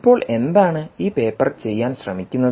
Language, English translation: Malayalam, now, what is this paper say